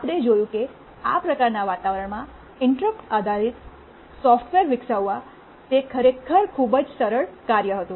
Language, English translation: Gujarati, We saw that it was really a very simple task for developing interrupt based software in this kind of environment